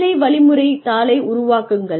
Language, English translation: Tamil, Develop a job instruction sheet